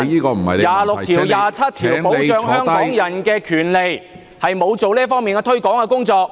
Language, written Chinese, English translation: Cantonese, 第二十六條和第二十七條保障香港人的權利，他沒有做到這方面的推廣工作。, Articles 26 and 27 protect the rights of Hong Kong people but he has not done anything to promote these articles